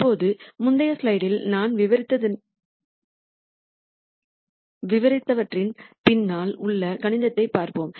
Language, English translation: Tamil, Now, let us see the mathematics behind whatever I described in the previous slide